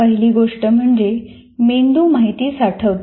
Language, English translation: Marathi, First thing is the brain stores information